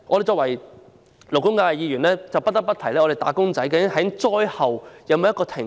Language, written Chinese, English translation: Cantonese, 作為勞工界的代表，我們不得不問政府可否立法，以保障"打工仔"災後停工？, As the representatives of the labour sector we must ask the Government if legislation can be enacted for work suspension after disasters so as to safeguard wage earners